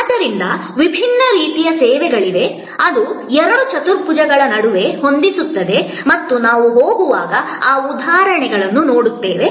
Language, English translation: Kannada, So, there are different kinds of services, which set between the two quadrants and we will see those examples as we go along